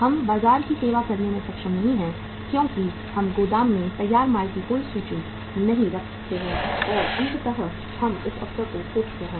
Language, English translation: Hindi, We are not able to serve the market because we do not keep any inventory of the finished goods in the warehouse and ultimately we have lost that opportunity